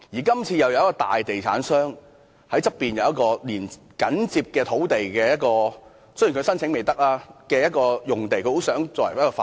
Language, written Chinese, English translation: Cantonese, 今次有一個大地產商在緊接所涉位置的旁邊擁有一幅土地——雖然申請尚未批核——想用作發展。, This time a large real estate developer owns a site immediately adjacent to the location in question―though the application has not yet been approved―and wishes to use it for development